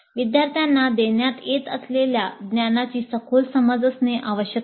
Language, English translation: Marathi, So the students must have a complete in depth understanding of the knowledge that is being imparted